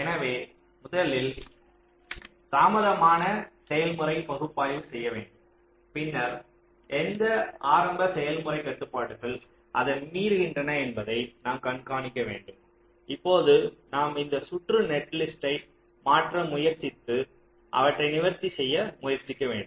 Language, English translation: Tamil, so first you do the late mode analysis, then you see which of the early mode constraints are getting violate it still you try to tune this circuit netlist and trying to address them